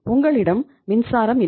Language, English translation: Tamil, You do not have the water